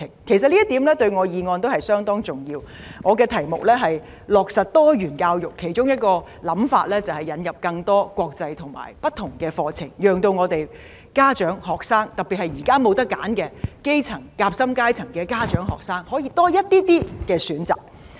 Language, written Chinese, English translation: Cantonese, 其實這一點對我的議案相當重要，我的題目是"落實多元教育"，其中一個想法就是引入更多國際和不同課程，讓家長、學生，特別是現在沒有選擇的基層、夾心階層的家長和學生可以多一些選擇。, In fact this point is very important to my motion . As the subject of my motion concerns implementing diversified education one of my ideas is to introduce more international and alternative curricula so as to give more choices to grass - roots and sandwiched - class parents and students particularly those who do not have any choice now